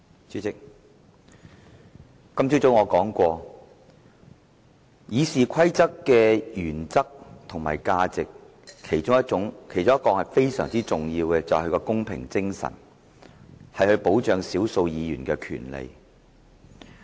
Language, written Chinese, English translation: Cantonese, 主席，我今早說過《議事規則》的原則和價值，其中非常重要的是其公平精神，以保障少數議員的權利。, President I talked about the principles and values of RoP this morning . One very important point is the spirit of equity which safeguards the rights and interests of minority Members